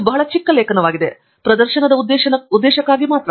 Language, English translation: Kannada, It’s a very small article; only for demonstration purpose